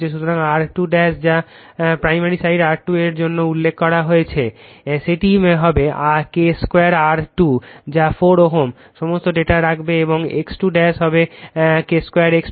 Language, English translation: Bengali, So, R 2 dash for the referred to the your what you call primary side R 2 dash will be K square R 2 that is 4 ohm, right all data you put, right and X 2 dash will be K square X 2